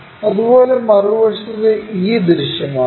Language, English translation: Malayalam, Similarly, on the other side, e thing will be visible